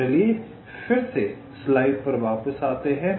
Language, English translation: Hindi, ok, so lets come back to this slide again